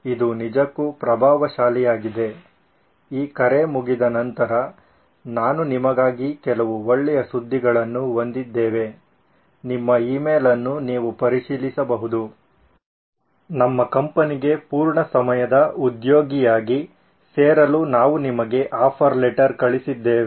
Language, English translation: Kannada, It is really impressive, in fact I have some good news for you after this call is over you can check your email we have sent you an offer letter to join our company as a full time employee